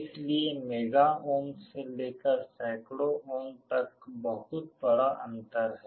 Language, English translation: Hindi, So, from mega ohm to hundreds of ohms is a huge difference